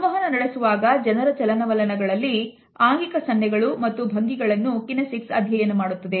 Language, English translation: Kannada, Kinesics studies body gestures and postures in the movement of the people particularly